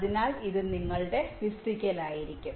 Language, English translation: Malayalam, so this will be your physical